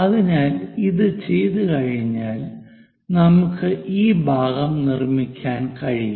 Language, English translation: Malayalam, So, once it is done, we will be in a position to construct this part